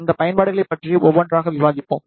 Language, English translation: Tamil, We will discuss these applications one by one in a while